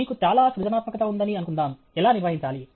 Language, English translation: Telugu, Suppose, you have too much creativity how to manage